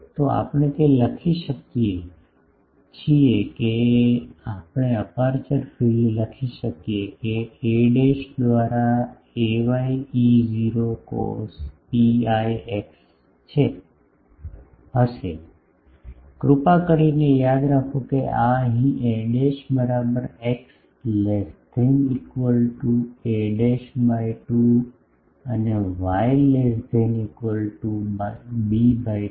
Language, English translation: Gujarati, So, we can write that, we can write the aperture field that will be ay E 0 cos pi x by a dash, please remember this is a dash here this is for x less than equal to a dash by 2 and y less than equal to b by 2